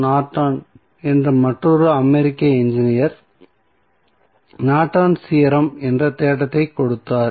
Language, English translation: Tamil, Norton gave the theory called Norton's Theorem